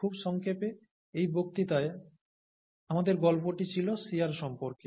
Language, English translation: Bengali, Very briefly, in this lecture, our story was about, was about shear